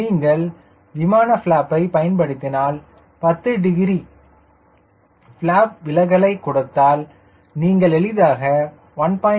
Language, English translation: Tamil, and once you use the plane flap, if you give a deflection by ten degrees flap deflection, you can easily touch one by four cl max